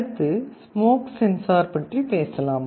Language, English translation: Tamil, Next let us talk about smoke sensing